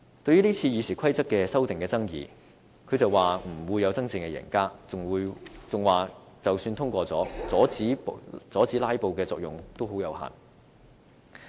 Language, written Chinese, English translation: Cantonese, 對於今次《議事規則》修訂的爭議，他表示不會有真正的贏家，並認為即使今次通過修訂，阻止"拉布"的作用亦非常有限。, When commented on the controversies over the current RoP amendments TSANG did not expect any real winner in the issue as the proposal if passed is of little use in stopping the pursuit of filibusters